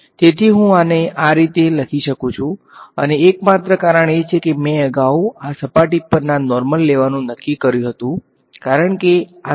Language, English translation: Gujarati, So, I can write this as ok, and only reason is because I had earlier decided to call the normal to this surface as this normal going outward is in this direction